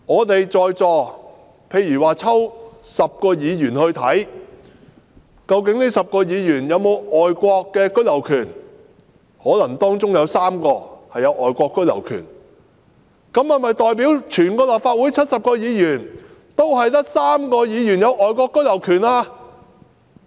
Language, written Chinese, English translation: Cantonese, 例如抽10位立法會議員檢查他們有否外國居留權，可能當中有3位擁有外國居留權，但這樣是否代表立法會全數70位議員中就只有3位議員擁有外國居留權呢？, This can be compared to conducting checks on 10 Members of the Legislative Council randomly to see if they have the right of abode in foreign countries and if say three of them have it does it mean that only three of all 70 Members of the Legislative Council have the right of abode in foreign countries?